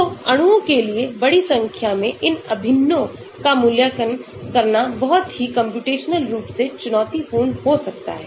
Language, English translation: Hindi, So, for molecules large number of electrons evaluating of these integrals can be very computationally challenging